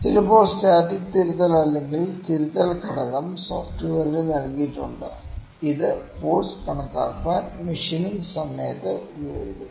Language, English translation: Malayalam, So, sometimes the static correction or the correction, factor is given in the like in the software which I used to calculate the force which is applied during machining